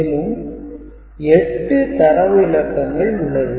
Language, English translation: Tamil, So, basically 8 data bits are there